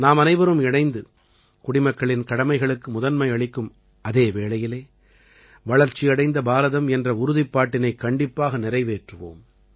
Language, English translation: Tamil, And together we shall certainly attain the resolve of a developed India, according priority to citizens' duties